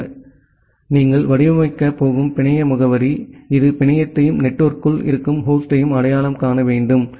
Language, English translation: Tamil, So, that is why, the network address that you are going to design, that should identify the network as well as the host inside the network